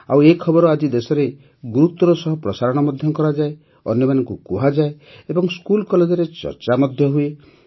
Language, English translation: Odia, And such news is shown prominently in the country today…is also conveyed and also discussed in schools and colleges